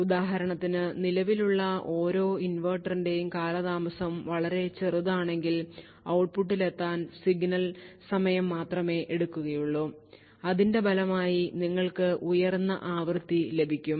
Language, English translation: Malayalam, So, for example, if the delay of each inverter present is a very short then the signal would take a shorter time to reach the output and as a result you will get a higher frequency